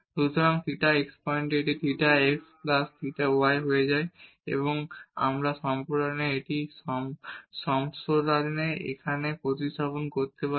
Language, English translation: Bengali, So, at theta x point this will become as theta x plus theta y and now we can substitute here in this expansion